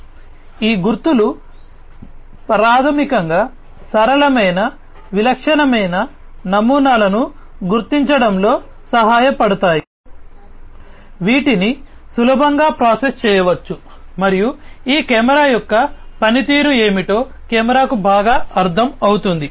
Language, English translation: Telugu, So, these markers basically will help in recognizing simple distinctive patterns, which can be easily processed and the camera is well understood what is the functioning of this camera